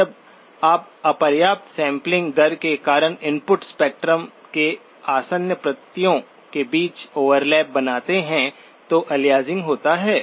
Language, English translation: Hindi, Aliasing is when you create overlap between adjacent copies of the input spectrum because of insufficient sampling rate